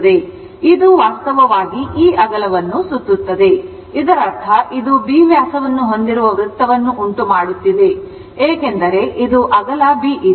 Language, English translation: Kannada, So, it is revolving this breadth actually; that means, it is making a circle with diameter b because this is this is the breadth, this is the breadth, this is that this is the breadth right